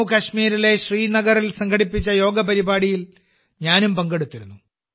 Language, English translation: Malayalam, I also participated in the yoga program organized in Srinagar, Jammu and Kashmir